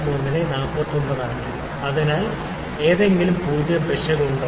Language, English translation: Malayalam, 01 into 49; so, is there any zero error